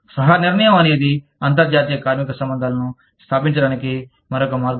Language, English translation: Telugu, Co determination is another way of establishing, international labor relations